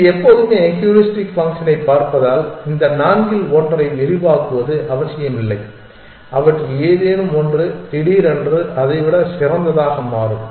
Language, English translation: Tamil, Since it always looking at the heuristic function it not necessary that it will expand one of these four any one of them could suddenly turn out to be better than that